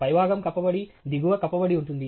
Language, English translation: Telugu, The top is covered and the bottom is covered